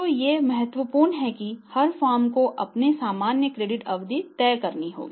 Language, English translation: Hindi, So, these are important and every firm has to decide that what will be there normal credit period